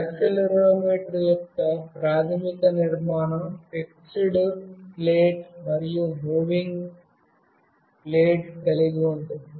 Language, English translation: Telugu, The basic structure of the accelerometer consists of a fixed plate and a moving plate